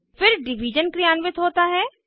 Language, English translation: Hindi, Then division is performed